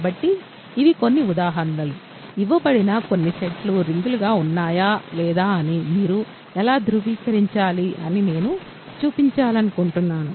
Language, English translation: Telugu, So, these are some of the examples, I wanted to do which show that you have how to verify if a few given sets are rings or not ok